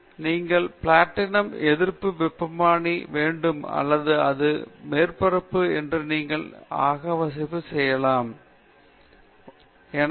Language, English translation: Tamil, You should have knowledge; you should have platinum resistance thermometer or if it is a surface you will have infrared, therefore, you must know what other people have done